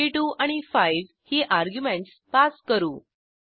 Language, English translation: Marathi, And we pass 42 and 5 as arguments